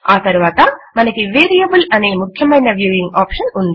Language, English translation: Telugu, Next we have the most important viewing option called the Variable